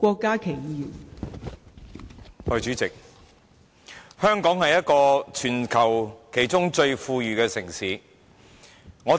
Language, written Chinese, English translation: Cantonese, 代理主席，香港是全球其中一個最富裕的城市。, Deputy President Hong Kong is one of the most affluent cites in the world